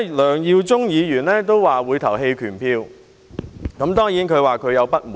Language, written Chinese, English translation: Cantonese, 梁耀忠議員表示會在表決時棄權，因為他感到不滿。, Mr LEUNG Yiu - chung indicated that he would abstain from voting because he was dissatisfied